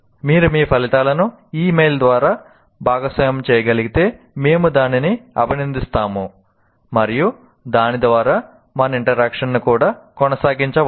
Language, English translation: Telugu, And we would, if you can share your results on this mail, we would appreciate and possibly we can also continue our interaction through that